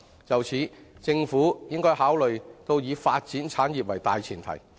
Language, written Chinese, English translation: Cantonese, 就此，政府應考慮以發展產業為大前提。, In this connection the Government should consider giving priority to the development of various industries